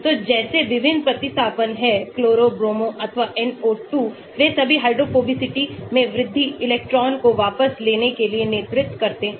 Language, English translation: Hindi, So, various substituents like chloro, bromo or NO2 they all lead to increase in electron withdrawing increase in hydrophobicity